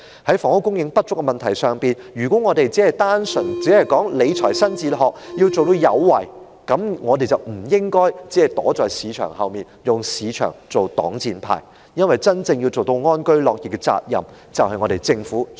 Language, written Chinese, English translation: Cantonese, 在房屋供應不足的問題上，如果政府強調理財新哲學、要做到有為，便不應該只躲在市場後，用市場作"擋箭牌"，因為要令市民真正安居樂業，是政府必須肩負的責任。, This is what we wish to advocate . Regarding the shortage of housing supply if the Government has laid emphasis on a new fiscal philosophy and the need to be proactive it should not only hide behind the market and use the market as a shield because the Government is duty - bound to enable members of the public to truly live in peace and work with contentment